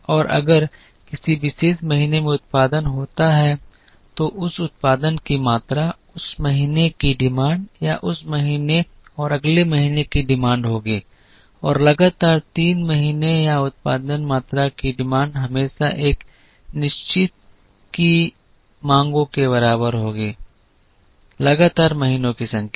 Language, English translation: Hindi, And if there is production in a particular month then that production quantity will be the demand of that month or the demand of that month and the next month and the demand of three consecutive months or the production quantity is always equal to the demands of certain number of consecutive months